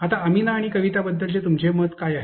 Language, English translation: Marathi, Now, what is your opinion about Amina and Kavita